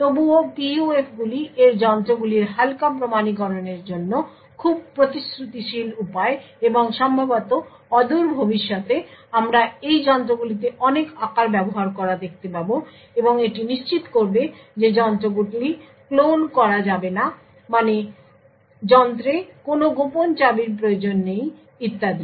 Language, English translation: Bengali, Nevertheless PUFs are very promising way for lightweight authentication of its devices and perhaps in the near future we would actually see a lot of forms being used in these devices and this would ensure that the devices will not get cloned, no secret key is required in the device and so on, thank you